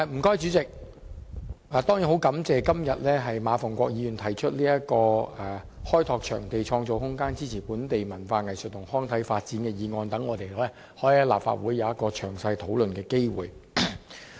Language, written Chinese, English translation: Cantonese, 我十分感謝馬逢國議員今天提出"開拓場地，創造空間，支持本地文化藝術及康體發展"的議案，好讓我們可以在立法會有一個詳細討論的機會。, I thank Mr MA Fung - kwok for proposing a motion on Developing venues and creating room to support the development of local culture arts recreation and sports today so that we can have an opportunity to have an in - depth discussion in this Council